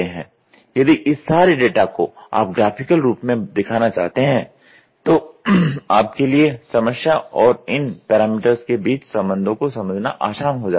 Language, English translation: Hindi, So, if you want to put all those things in a data in a graphical form, then the understanding of the problem and the relationship between the parameters becomes very easy